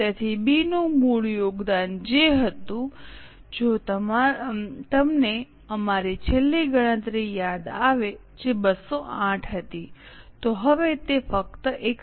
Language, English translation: Gujarati, So, the original contribution from B which was, if you remember our last calculation which was 208, now has come down only to 128